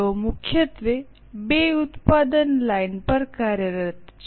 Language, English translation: Gujarati, They are primarily operating in two product lines